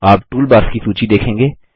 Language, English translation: Hindi, You will see the list of toolbars